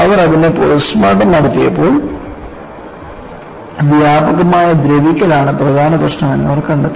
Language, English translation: Malayalam, So, when they did the postmortem, they found that widespread corrosion was the main culprit